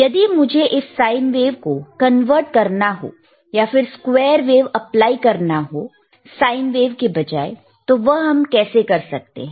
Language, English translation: Hindi, Now if I want to convert this sine wave, or if I want to apply a square wave instead of sine wave, then what is there